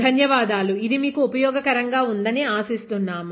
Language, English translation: Telugu, Thank you, hope you found this useful